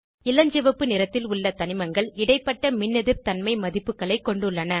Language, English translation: Tamil, Elements with pink color have in between Electronegativity values